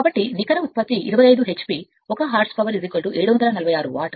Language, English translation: Telugu, So, net output is 25 h p 1 horse power is equal to 746 watt